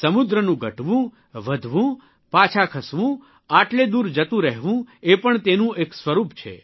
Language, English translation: Gujarati, Advancing, receding, moving back, retreating so far away of the sea is also a feature of it